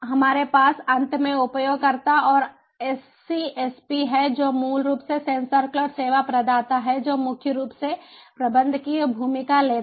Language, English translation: Hindi, we additionally have end users and scsp, which is basically the sensor cloud service provider, which primarily takes the managerial role